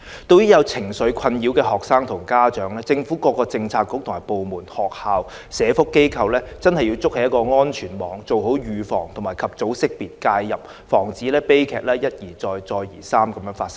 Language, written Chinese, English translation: Cantonese, 對於有情緒困擾的學生和家長，政府各政策局和部門、學校、社福機構需要築起安全網，做好預防、及早識別、介入，防止悲劇一而再，再而三地發生。, Policy bureaux government departments schools and social welfare organizations should build a safety net for students and parents troubled by emotional distress through prevention early identification and intervention to prevent tragedies from happening again